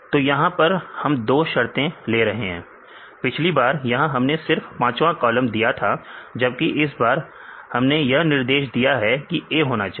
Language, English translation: Hindi, So, here we are taking two conditions, last time the fifth column we mentioned this contains A; now we are giving the restriction that it should start with A